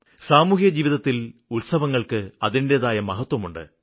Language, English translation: Malayalam, Festivals have their own significance in social life